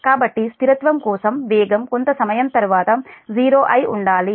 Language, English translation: Telugu, so for stability, the speed must become zero